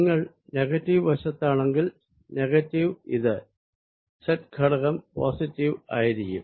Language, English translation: Malayalam, if you are on the negative side, negative it's going to be